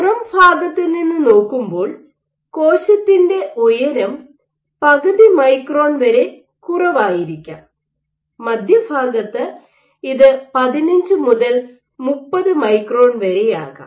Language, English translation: Malayalam, From the periphery the height of the cell might be as low as half micron and to the centre it might be 15 to 30 microns